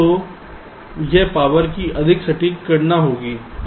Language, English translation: Hindi, so this will be a more accurate calculation of the power, right